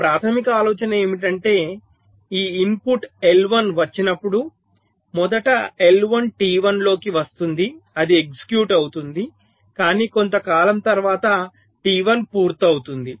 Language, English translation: Telugu, now the basic idea is that when this input, i one, comes first, i one will be come into t one, it will get executed, but after sometime t only finished